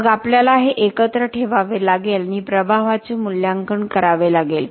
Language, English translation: Marathi, Then we have to put this together and come up with an impact assessment